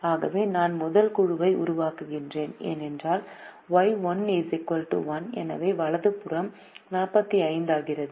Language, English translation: Tamil, so if i am forming the first group, then y one is equal to one, so the right hand side becomes forty five